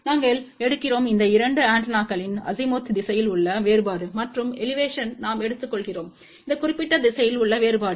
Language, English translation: Tamil, We take the difference in the Azimuth direction of these 2 antenna, and along the Elevation we take the difference in this particular direction